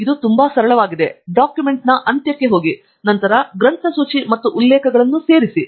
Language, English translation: Kannada, It is quite simple; go to the end of the document, and then, insert the bibliography and references